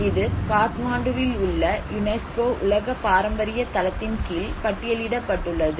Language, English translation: Tamil, This place is known as Bhaktapur which is listed under the UNESCO world heritage site in Kathmandu